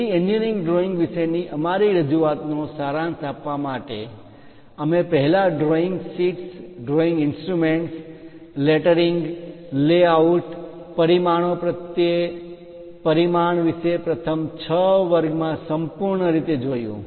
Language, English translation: Gujarati, So, to summarize our introduction to engineering drawings, we first looked at drawing sheets, drawing instruments, lettering layouts complete picture on dimensioning tolerances in the first 6 lectures